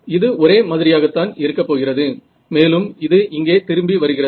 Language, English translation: Tamil, So, it is going to look like and then come back here right